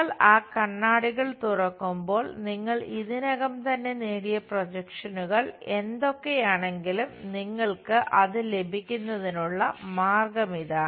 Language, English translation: Malayalam, And you open those mirrors whatever those projections you already obtained there is the way you get it